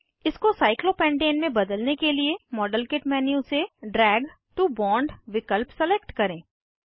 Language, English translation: Hindi, To convert this into cyclopentane, select Drag to bond option from the modelkit menu